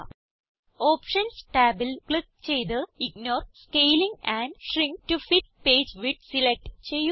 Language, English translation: Malayalam, Click the Options tab and select Ignore Scaling and Shrink To Fit Page Width